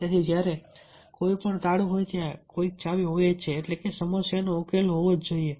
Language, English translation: Gujarati, so when, whenever there is a lock, there must be some key means there must be some solution to the problem